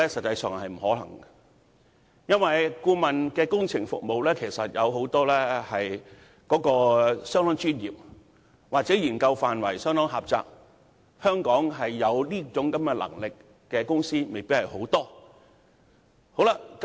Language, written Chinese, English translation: Cantonese, 由於有很多顧問工程服務均相當專業，研究範圍也相當狹窄，香港未必有很多公司具備這方面的能力。, Since many consultant engineering services are highly professional with a narrow scope of study not many companies in Hong Kong have the capacity to conduct these studies